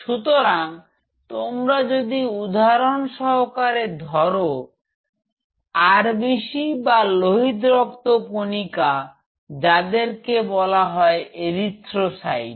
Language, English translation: Bengali, So, if you taken for example, if we take the example of RBC or red blood cell which is also called erythrocytes